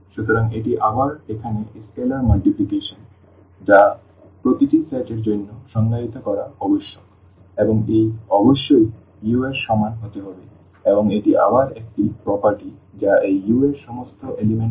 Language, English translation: Bengali, So, this is again here the scalar multiplication which must be defined for each this set here and it must be equal to u and this is again kind of a property which all the elements of this u must satisfy